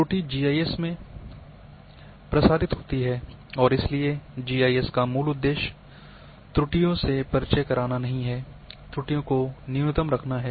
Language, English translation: Hindi, Error propagates in GIS and therefore, the basic purpose of GIS is not to introduce the errors,to keep errors at the minimum